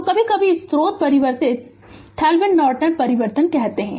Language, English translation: Hindi, So, sometimes the source transformation we call Thevenin Norton transformation